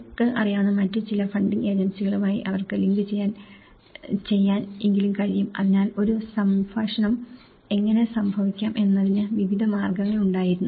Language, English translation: Malayalam, Or at least, they can link with some other funding agencies you know, so there were various ways how a dialogue can happen